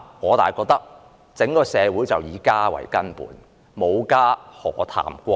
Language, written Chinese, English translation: Cantonese, 但是，我覺得整個社會是以家為根本，沒有家，何談國？, But to me family is the very foundation of the entire society . How can there be a country without families?